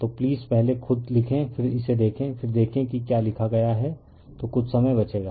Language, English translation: Hindi, So, please write yourself first, then you see this then you see what have been written then some time will be save right